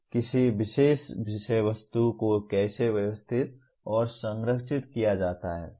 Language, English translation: Hindi, How a particular subject matter is organized and structured